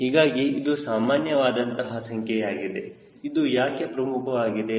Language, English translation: Kannada, so this is typically the number why this is important